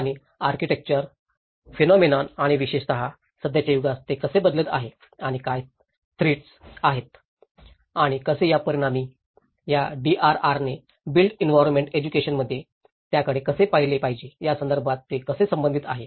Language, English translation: Marathi, And how it is relevant in the architectural phenomenon and especially, in the present age how it is drastically changing and what are the threats and as a result how this DRR has to be looked into it in the built environment education